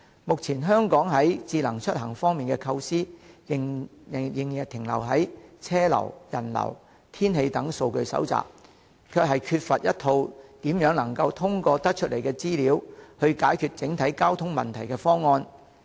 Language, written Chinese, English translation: Cantonese, 目前香港在智慧出行方面的構思，仍停留在車流、人流、天氣等數據的收集，欠缺一套通過整合所收集的資料去解決整體交通問題的方案。, At present Hong Kongs ideas regarding smart travel still remain at the collection of data such as traffic and pedestrian flow and weather lacking a scheme that can solve the overall traffic problems through integrating the information collected